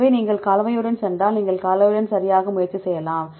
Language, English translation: Tamil, So, if you go with the composition you can try with the composition right